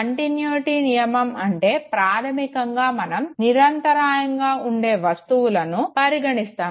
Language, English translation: Telugu, Law of continuity basically says that continuous figures are always preferred